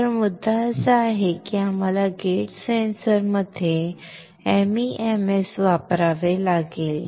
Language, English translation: Marathi, So, the point is that is why we had to use the MEMS in gate sensors